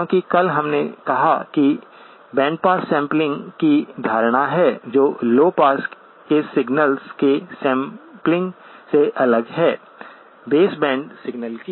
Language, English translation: Hindi, Because yesterday, we said that there is notion of bandpass sampling which is different from the sampling of low pass signals, of base band signal